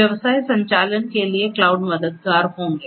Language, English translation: Hindi, For business operations cloud will be helpful